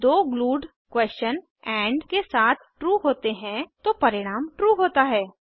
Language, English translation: Hindi, When the two questions glued with and are true, result is true